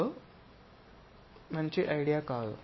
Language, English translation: Telugu, So, this is not a good idea